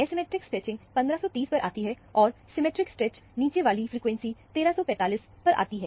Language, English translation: Hindi, The asymmetric stretching comes at 1530, and the symmetric stretch comes at a lower frequency of 1345